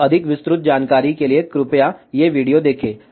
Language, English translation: Hindi, So, for more detail information, please see these videos